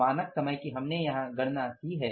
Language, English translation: Hindi, Standard time we have calculated here